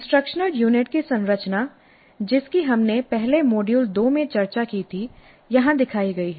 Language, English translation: Hindi, The structure of the instruction unit which we discussed earlier in module 2 is shown here